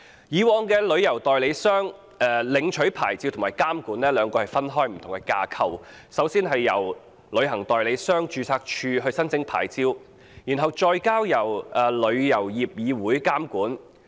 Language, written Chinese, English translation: Cantonese, 以往，旅行代理商在兩個不同架構下領取牌照及接受監管，首先向旅行代理商註冊處申請牌照，然後再接受香港旅遊業議會監管。, Before the passage of the Bill travel agents are licensed and regulated under two different frameworks . They have to first apply to the Travel Agents Registry for licences and then they are regulated by the Travel Industry Council of Hong Kong TIC